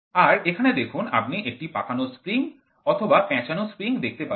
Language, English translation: Bengali, So, if here you can see a coiled spring or a torsion spring is there